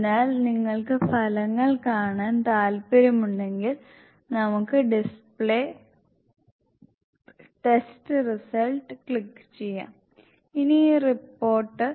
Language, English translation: Malayalam, So, if you want to view the results we can click on the display test results, this, this report